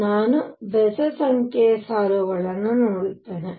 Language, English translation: Kannada, So, I would see odd number of lines